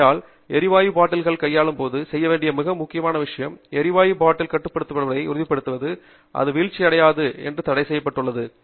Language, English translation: Tamil, So, therefore, a very important thing to do when you are dealing with gas bottles is to ensure that the gas bottle is constrained, restrained such that it cannot fall down